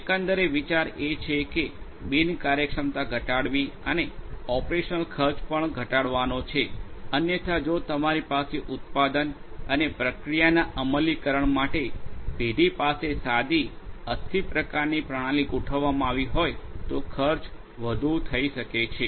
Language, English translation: Gujarati, Overall the idea is to reduce the inefficiency and also to reduce operational expenses that might otherwise get incurred if you do not have if you have a bare bone kind of system deployed for the firm for manufacturing and process execution